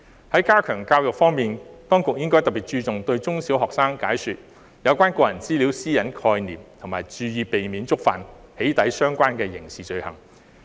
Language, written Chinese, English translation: Cantonese, 在加強教育方面，當局應該特別注重對中小學生解說有關個人資料私隱的概念，以及提醒他們注意避免觸犯與"起底"相關的刑事罪行。, As regards efforts to step up education the authorities should place special emphasis on explaining the concept of personal data privacy to primary and secondary students and reminding them to avoid committing doxxing - related criminal offences